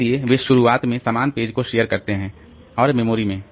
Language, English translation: Hindi, So, they initially share the same pages and in the memory